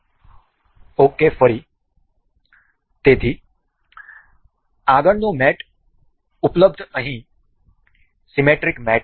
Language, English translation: Gujarati, Ok again so, the next mate available is here is symmetric mate